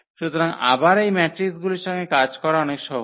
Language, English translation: Bengali, So, again this working with the matrices are much easier